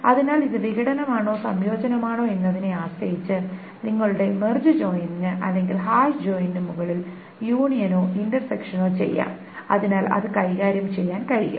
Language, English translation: Malayalam, So depending on whether it's disjunction or conjunction, union and intersection can be done on top of your merge join or hash join